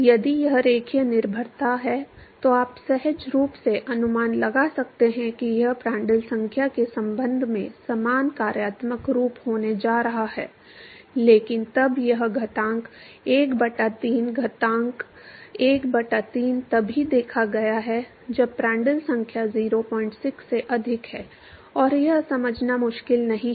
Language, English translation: Hindi, If it is linear dependence then you could intuitively guess that it, it is going to have similar functional form with respect to Prandtl number, but then this exponent 1 by 3, exponent 1 by 3 has been observed only when Prandtl number is greater than 0